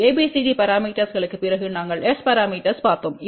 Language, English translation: Tamil, And after ABCD parameters we looked at S parameters